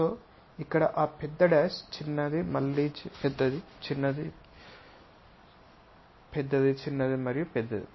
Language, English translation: Telugu, So, here that big dash, small, again big one, small, big one, small and big one